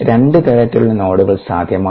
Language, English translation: Malayalam, there are two kinds of nodes that are possible